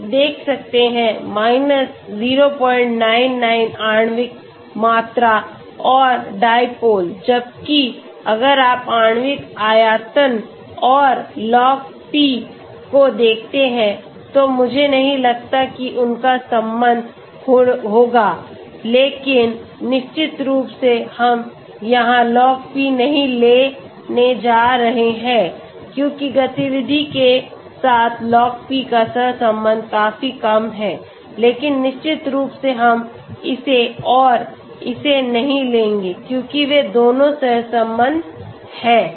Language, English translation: Hindi, 99 molecular volume and dipole whereas if you look at molecular volume and Log P I do not think they will be correlated but of course we are not going to take Log P here because the correlation of Log P with activity is quite low but definitely we will not take this and this because they are both correlated okay